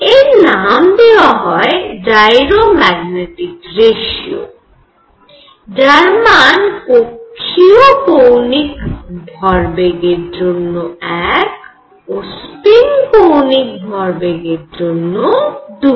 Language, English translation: Bengali, So, this was called the gyro magnetic ratio which is one for orbital angular momentum and 2 for a spin angular momentum